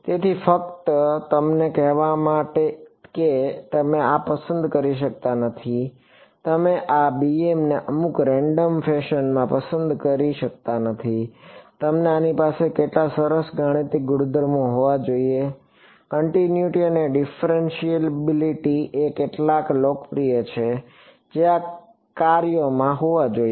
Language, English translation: Gujarati, So, just to tell you that you cannot choose these; you cannot choose these b m’s in some random fashion, they should have some nice mathematical properties ok, continuity and differentiability are some of the popular ones that these functions should have